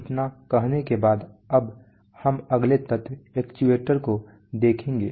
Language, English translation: Hindi, So having said that let us look at the next element which is actuators